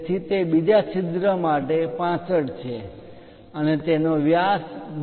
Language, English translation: Gujarati, So, that is 65 for the second hole and the diameter is 10 for that